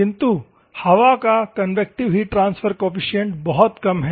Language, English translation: Hindi, At the same time, the convective heat transfer coefficient of air is very less